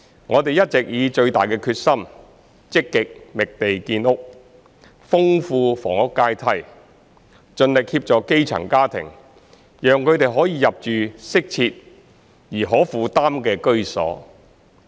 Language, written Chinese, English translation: Cantonese, 我們一直以最大的決心，積極覓地建屋，豐富房屋階梯，盡力協助基層家庭，讓他們可以入住適切而可負擔的居所。, We have all along worked with the utmost determination to actively identify land for housing development enrich the housing ladder and endeavour to help grass - roots families to move into adequate and affordable housing